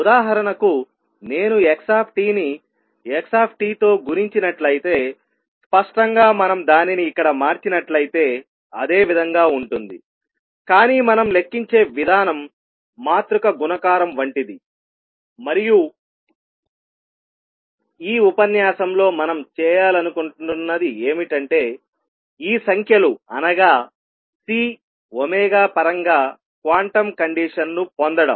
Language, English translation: Telugu, For example, if I have x t and multiplied by x t that would; obviously, be the same if we change it here, but the way we calculate the representation has become, now matrix multiplication and what we want to do in this lecture is obtain the quantum condition in terms of these numbers C and omega that is our goal